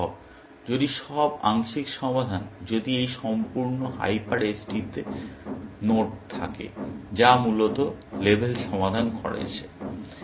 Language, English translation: Bengali, It is possible, if all the sub solution; if this entire hyper edge has nodes, which has label solved, essentially